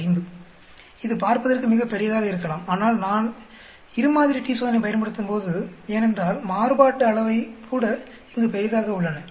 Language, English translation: Tamil, 5, it looks very large but when I use a two sample t Test because the variations are so large here